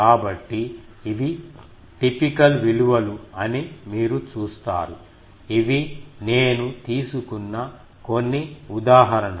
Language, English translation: Telugu, So, you see these are the typical values; some examples I have taken